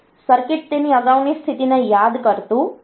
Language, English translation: Gujarati, So, the circuit does not memorize it is previous state